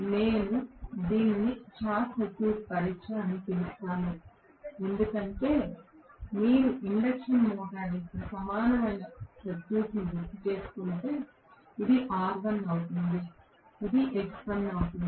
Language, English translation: Telugu, I call this as short circuit test because if you recall the equivalent circuit of the induction motor this is going to be r1 this is going to be x1